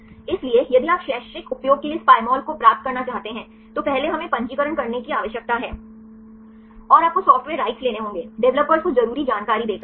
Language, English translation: Hindi, So, if you want to get this Pymol for the educational use, first we need to register and you have to get the software right by giving the necessary information right to the developers